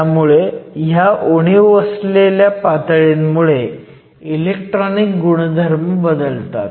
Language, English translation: Marathi, So, these defect states can essentially modify the electronic properties